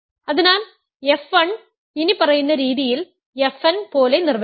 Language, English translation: Malayalam, So, define f 1 as follows f n